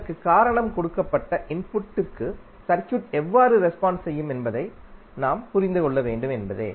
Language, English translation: Tamil, Because we want to understand how does it responds to a given input